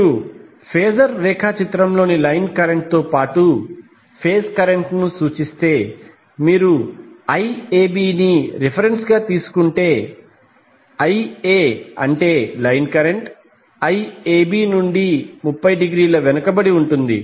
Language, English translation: Telugu, So if you represent line current as well as phase current on the phasor diagram, if you take Iab as a reference, Ia that is the line current for Iab and Ica will be Ia and which will be 30 degree lagging from Iab